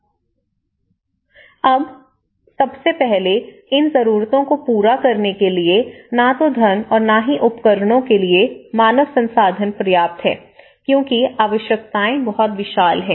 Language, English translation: Hindi, Now, first of all, neither funding nor the human resource for equipments are not adequate to meet these needs because the needs are very vast